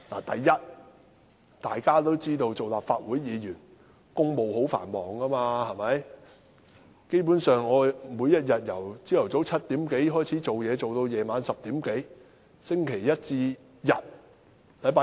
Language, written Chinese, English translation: Cantonese, 第一，大家都知道，作為立法會議員，公務十分繁忙，我每天由早上7時多開始工作至晚上10時多，星期一至星期日。, First of all we all know Members of the Legislative Council have very busy schedules . I work from about 7col00 am to around 10col00 pm every day from Monday to Sunday